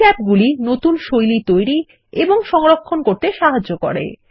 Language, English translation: Bengali, These tabs allow us to create and save new styles